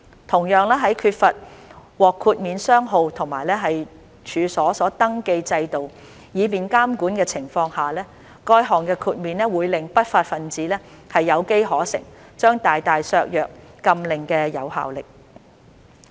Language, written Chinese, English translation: Cantonese, 同樣，在缺乏獲豁免商號和處所登記制度以便監管的情況下，該項豁免會令不法分子有機可乘，將大大削弱禁令的有效力。, Likewise in the absence of a registration system for exempt companies and premises to facilitate monitoring this will provide an opportunity for unscrupulous people to take advantage of the exemption and greatly reduce the effectiveness of the ban